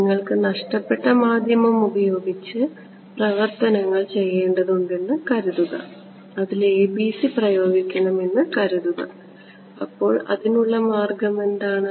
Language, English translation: Malayalam, Supposing you had to live with it you had a lossy medium and you wanted to impose ABC what was the way around it